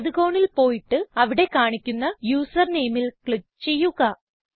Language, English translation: Malayalam, Go to the right hand side corner and click on the username displayed there